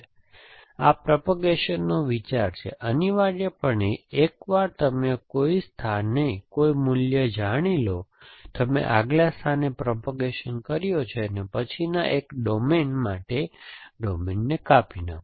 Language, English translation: Gujarati, So, this is the idea of propagation, essentially once you know a value at some place you propagated to the next one and prune the domain for the next one